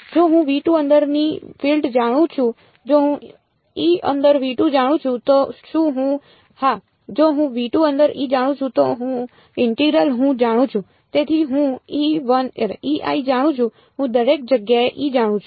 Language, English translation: Gujarati, If I know the field inside v 2 if I know E inside v 2 am I done yes, if I know E inside v 2 then the integral I know; E i I know therefore, I know E everywhere